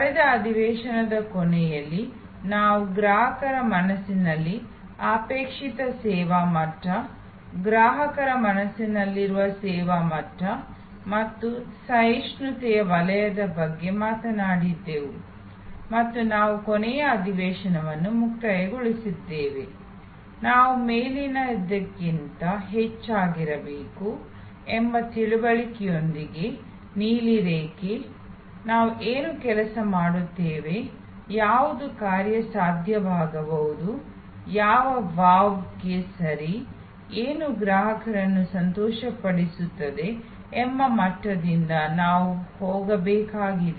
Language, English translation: Kannada, At the end of last session, we were talking about the desired service level in customers mind, the adequate service level in customers mind and the zone of tolerance in between and we concluded the last session, with the understanding that we need to be above the blue line, we need to go from the level of what works, what is feasible, what is ok to what wows, what delights the customer